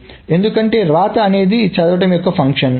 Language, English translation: Telugu, So because the right is a function of the read